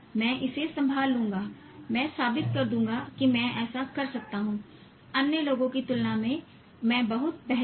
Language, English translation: Hindi, I'll prove that I can do this much better than other people